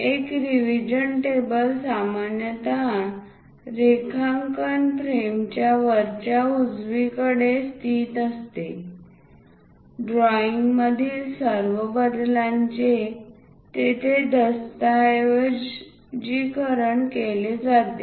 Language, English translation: Marathi, A revision table is normally located in the upper right of the drawing frame all modifications to the drawing should be documented there